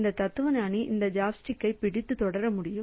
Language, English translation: Tamil, So, I can, so this philosopher will be able to grab this chopstick and continue